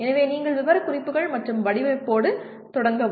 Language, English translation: Tamil, So you start with specifications and design